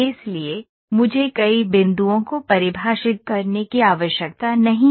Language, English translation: Hindi, So, I do not have to define so, many points